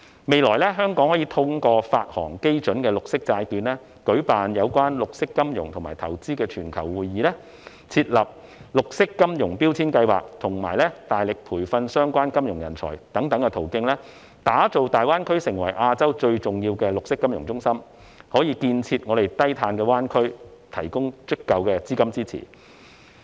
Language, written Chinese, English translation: Cantonese, 未來，香港可以通過發行基準綠色債券，舉辦有關綠色金融和投資的全球會議，設立"綠色金融標籤計劃"，以及大力培訓相關金融人才等途徑，打造大灣區成為亞洲最重要的綠色金融中心，為建設低碳灣區提供足夠的資金支持。, In the future Hong Kong can develop GBA into the most important green finance centre in Asia and provide sufficient financial support for the development of a low - carbon bay area by such ways as issuing benchmark green bonds hosting global conferences on green finance and investment establishing a green labelling scheme and endeavouring to train the relevant finance talents